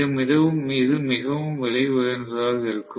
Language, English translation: Tamil, So, it is going to be really expensive